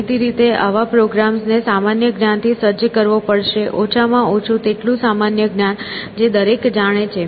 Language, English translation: Gujarati, So, obviously, such a program will have to be equipped with general knowledge, atleast which everybody knows essentially